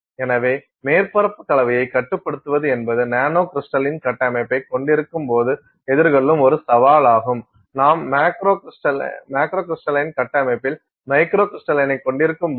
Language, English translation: Tamil, So, control of surface composition is a challenge which you face when you have nanocrystalline structure, as supposed to when you have microcrystal in the macrocrystalline structure